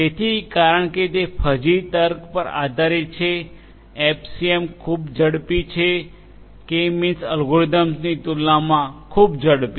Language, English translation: Gujarati, So, because it is based on fuzzy logic FCM is extremely faster, much faster compared to the K means algorithm